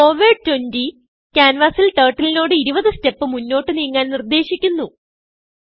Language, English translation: Malayalam, forward 20 commands Turtle to move 20 steps forward on the canvas